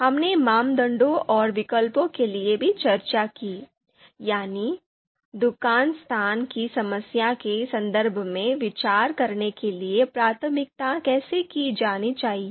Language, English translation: Hindi, We also discussed for criteria and alternatives, how the priority prioritization has to be done, so that we discussed in the context of shop location problem